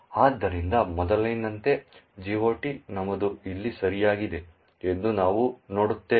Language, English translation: Kannada, So, we will see that the GOT entry as before is at the location here okay